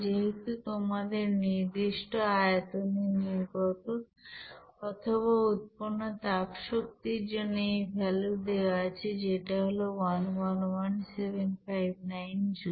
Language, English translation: Bengali, Since you have this value of heat energy that is released or evolved as per constant volume is 111759 Joule